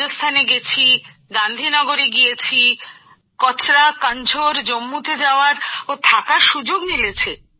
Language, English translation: Bengali, I got a chance to stay together in Rajasthan, in Gandhi Nagar, Kachra Kanjhor in Jammu